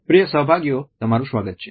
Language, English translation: Gujarati, Welcome dear participants